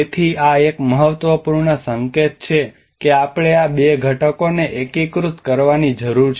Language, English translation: Gujarati, So this is one of the important indication that we need to integrate these two components